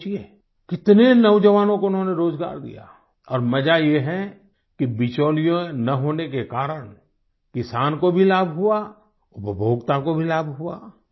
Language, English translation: Hindi, You just think, how many youth did they employed, and the interesting fact is that, due to absence of middlemen, not only the farmer profited but the consumer also benefited